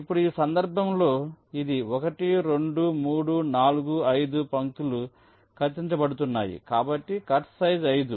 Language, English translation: Telugu, now, in this case it is one, two, three, four, five lines are cutting, so cut size is five